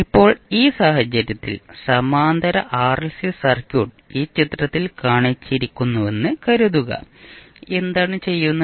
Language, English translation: Malayalam, Now in this case suppose the parallel RLC circuit is shown is in this figure here, what we are doing